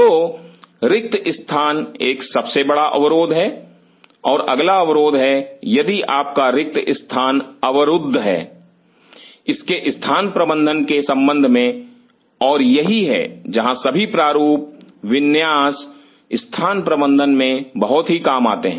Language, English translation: Hindi, So, space is a big constraint and the next constraint come, if your space is a constraint related to it is space management and that is where the whole design layout comes very handy space management